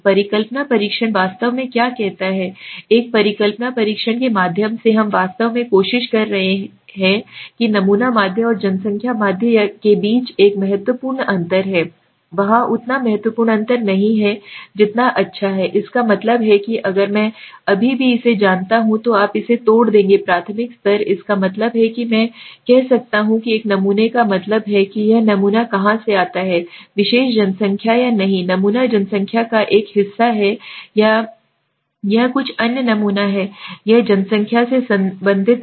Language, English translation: Hindi, What does hypothesis testing actually say, through a hypothesis testing we are actually trying to say that there is a significant difference between the sample mean and the population mean or there is not a significant difference as good as it, that means if I still break it to a more you know elementary level it means can I say that from a sample mean that this sample comes from particular population or not, is the sample a part of the population or it is some other sample, it is not related to the population